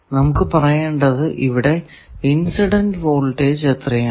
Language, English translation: Malayalam, We will have to say what is the incident voltage